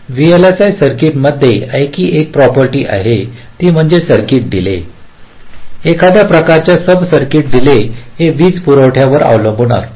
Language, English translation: Marathi, there is another property in vlsi circuits is that, ah, the delay of a circuit, delay of a some kind of a sub circuits, it depends on the power supply